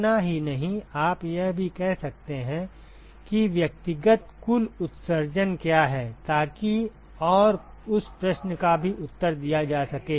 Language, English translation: Hindi, Not just that, you can also say what are the individual total emission so that and that question also can be answered ok